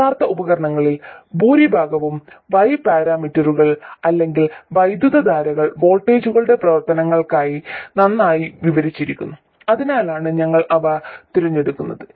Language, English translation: Malayalam, It turns out that most of the real devices are well described by Y parameters or with currents as functions of voltages, that's why we chose them